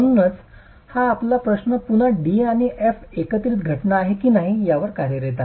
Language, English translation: Marathi, So this is your question is again dealing with whether D and F are simultaneous phenomena